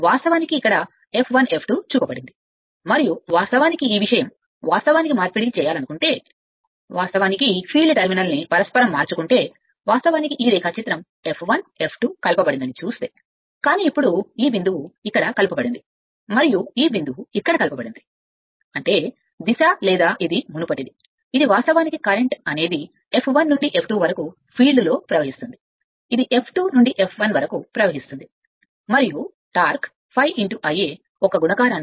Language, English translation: Telugu, So, if you want to if you want to here also, it is shown your what you call F 1 F 1 F 2 and this thing now, if you want to interchange the I mean, if you interchange the field terminal then, if you see this diagram F 1 F 2 connected, but now this point is connected here and this point is connected here this is; that means, your direction or this is the earlier, it was your what you call current was flowing in the field from F 1 to F 2, this connection is flowing F 2 to F 1 and torque is proportional to your product of the your your, we have seen that product of your phi into I a right